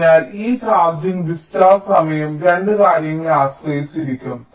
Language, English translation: Malayalam, ok, so this charging and discharging time will depend on two things